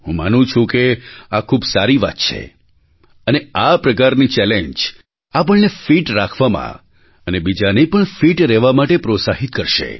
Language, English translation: Gujarati, I believe this is gainful and this kind of a challenge will inspire us to be fit alongwith others, as well